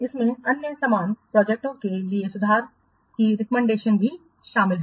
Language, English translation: Hindi, It also contains recommendations for improvement for other similar projects